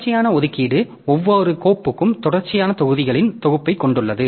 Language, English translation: Tamil, Contiguous allocation, so each file occupies a set of contiguous blocks